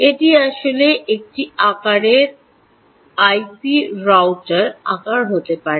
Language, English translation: Bengali, it could actually be the size of, let's say, a typical i p router